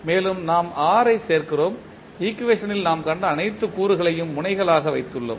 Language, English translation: Tamil, And, then we add R so, we have put all the elements which we have seen in the equation as nodes